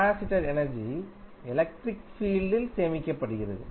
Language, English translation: Tamil, Capacitor is stored energy in the electric field